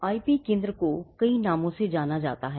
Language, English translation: Hindi, Now, the IP centre is known by many names